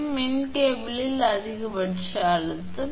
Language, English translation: Tamil, And e: maximum stress in the cable